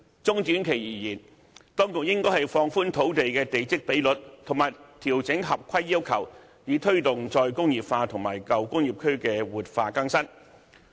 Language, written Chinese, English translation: Cantonese, 中短期而言，當局應放寬土地的地積比率，以及調整合規要求，以推動"再工業化"和舊工業區活化更新。, In the short to medium run the Government should relax the plot ratio of certain sites and adjust the compliance requirements to promote re - industrialization and revitalize old industrial districts